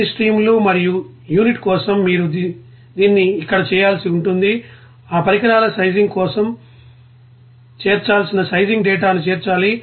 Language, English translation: Telugu, For all the streams and unit is that you have to do this here and then sizing data to be incorporated for that equipment sizing